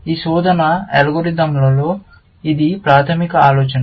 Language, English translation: Telugu, That is a basic idea in many of these search algorithms